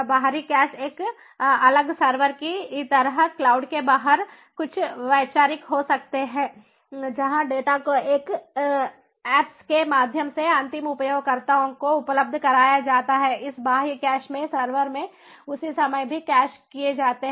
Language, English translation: Hindi, external cache could be conceptualize something like a separate server which is outside the cloud, where the data that are made available to the end users through these apps are also cached at the same time at this in this server, in this external cache